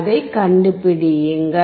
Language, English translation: Tamil, Find it out